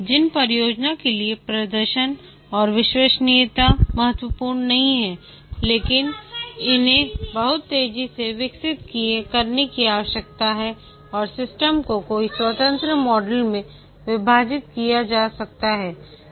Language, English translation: Hindi, The projects for which the performance and reliability are not critical, but these are required to be developed very fast and the system can be split into several independent modules